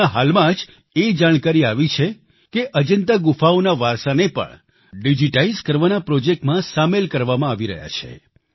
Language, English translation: Gujarati, Just recently,we have received information that the heritage of Ajanta caves is also being digitized and preserved in this project